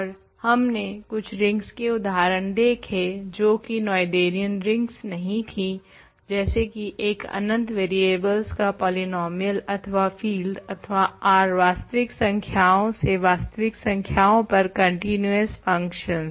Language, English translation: Hindi, And, we also looked at a couple of examples of rings that are not Noetherian, a polynomial infinitely many variables or a field for example, or the ring of continuous functions from R real numbers to real numbers